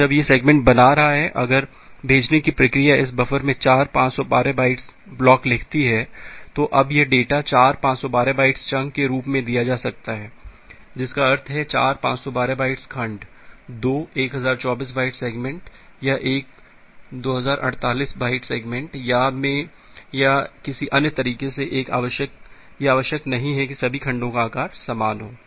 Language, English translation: Hindi, Now when it is creating the segments, if the sending process writes four 512 bytes block to this buffer, now this data may be delivered as four 512 bytes chunks that mean four 512 bytes segment, two 1024 bytes segments or one 2048 byte segments or in some other way it is not necessary that all the segments need to be a of same size